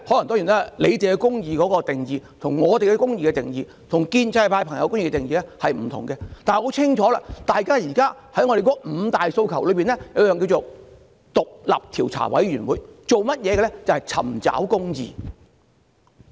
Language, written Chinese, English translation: Cantonese, 當然，政府對公義的定義，與我們對公義的定義或建制派議員的定義都不盡相同，但很清楚，現時在我們的五大訴求中，其中一點是成立獨立調查委員會，這便是要尋求公義。, Of course the Governments definition of justice is different from our definition or that of the pro - establishment Members . But clearly enough one of the five demands championed by us now is the forming of an independent commission of inquiry and this is precisely meant to seek justice